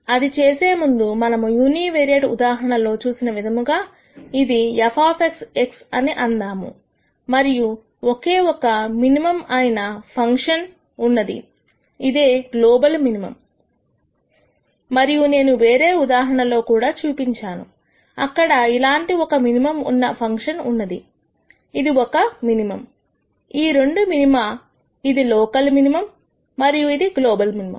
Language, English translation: Telugu, Before we do that just like we saw in the univariate case, let us say this is f of x x and then I have a function like this which has only one minimum which is a global minimum and then I also showed another case where we have a function may be like this where this is one minimum this is one minimum both are minima this is a local minimum and this is a global minimum